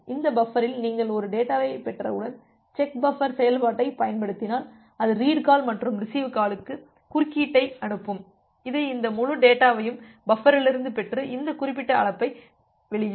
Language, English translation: Tamil, And once you are getting a data in this buffer, then use a this check buffer function, it will send interrupt to the read call and the receive call and it will get this entire data from the buffer and release this particular call